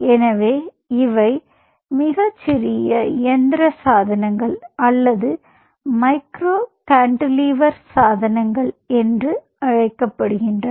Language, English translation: Tamil, so then these are called a small mechanical devices or micro cantilever devices